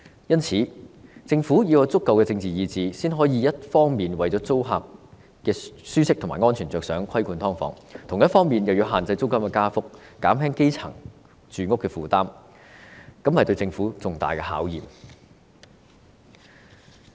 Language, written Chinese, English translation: Cantonese, 因此，政府要有足夠的政治意志，才能夠一方面為了租客的舒適和安全着想而規管"劏房"，另一方面限制租金加幅，減輕基層的住屋負擔，這是對政府重大的考驗。, For this reason the Government should have sufficient political will . Only then will it be able to regulate subdivided units for the ease and safety of tenants on the one hand restrict increases in rent to alleviate the housing burden of the grass roots on the other . This is a tall challenge to the Government